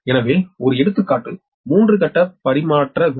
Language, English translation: Tamil, the example is a three phase transmission line